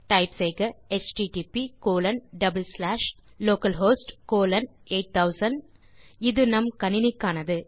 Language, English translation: Tamil, So you can type http colon double slash localhost colon 8000, in our case it is the point